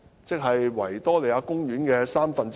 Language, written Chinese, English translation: Cantonese, 即是維多利亞公園面積的三分之一。, It is one third of the size of Victoria Park